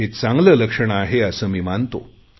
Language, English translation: Marathi, I see this as a good sign